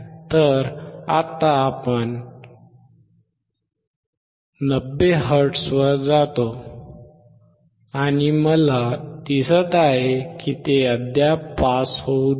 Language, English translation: Marathi, So now, we go to 90 hertz, and I see it is still not allowing to pass